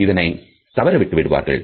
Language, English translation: Tamil, Some people can miss it altogether